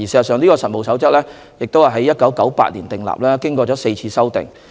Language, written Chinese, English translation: Cantonese, 事實上，《實務守則》在1998年訂立，經過4次修訂。, In fact the Code of Practice was issued in 1998 with four revisions since then